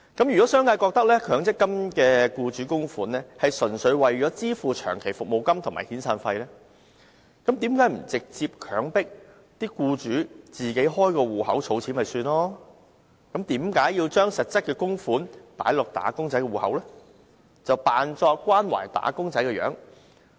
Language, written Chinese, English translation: Cantonese, 如果商界覺得強積金的僱主供款，純粹是為支付長期服務金和遣散費，那為何不直接強制僱主自行開設戶口儲蓄？為何硬要把供款放進"打工仔"的強積金戶口，假裝關懷"打工仔"？, If the business sector thinks that employers contributions to MPF are purely intended for the payment of long service payments and severance payments why do we not simply mandate employers to set up accounts on their own for saving purposes rather than depositing them into wage earners MPF accounts as a pretence of caring for wage earners?